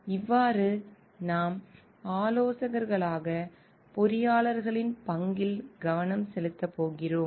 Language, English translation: Tamil, Today we are going to focus on the role of engineers as consultants